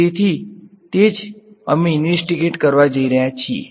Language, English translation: Gujarati, So, that is what we are going to investigate